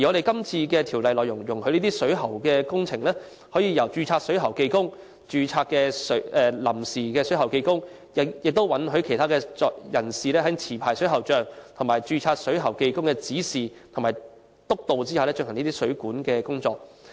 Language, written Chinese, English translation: Cantonese, 今次的《條例草案》修訂是，容許水管工程由註冊水喉技工、註冊水喉技工及其他人士在持牌水喉匠或註冊水喉技工的指示和督導下進行水管工程。, The present amendments to the Bill propose that plumbing works can be carried out by a registered plumbing worker registered plumbing worker provisional and other persons under the instruction and supervision of an licensed plumber or a registered plumbing worker